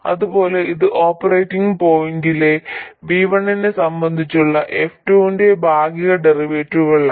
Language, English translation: Malayalam, And similarly, Y12 is partial derivative of f1 with respect to v1 at the operating point